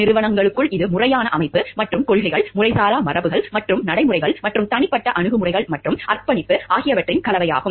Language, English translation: Tamil, Within corporations it is a combination of formal organization and policies, informal traditions and practices and personal attitudes and commitment